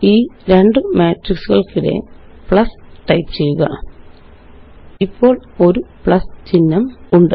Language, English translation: Malayalam, Type plus in between these two matrices So there is the plus symbol